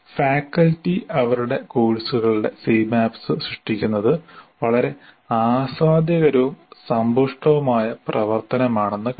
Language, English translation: Malayalam, Faculty creating C maps of their courses found it very enjoyable and enriching activity